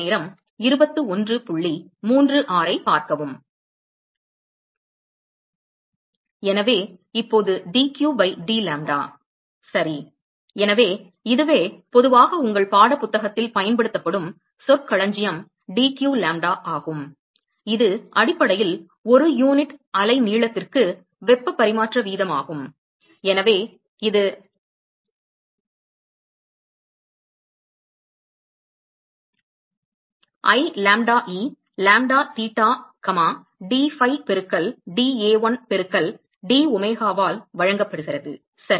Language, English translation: Tamil, So, now, dq by dlambda ok, so this is the the so this is called as generally the terminology that is used in your text book is dq lambda which is basically the heat transfer rate per unit wavelength and so that is given by I lambda e,lambda theta comma dphi multiplied by dA1 into domega ok